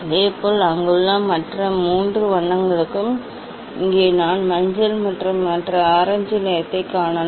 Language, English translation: Tamil, Similarly, for other three colours at there, here I can see yellow and this other orange colour